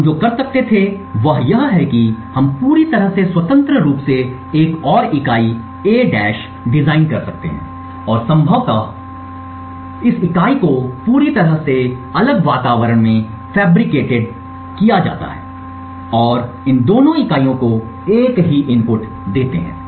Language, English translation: Hindi, What we could do is we could design completely independently another unit, A’ and possibly just fabricated this unit in a totally different environment and feed the same inputs to both this units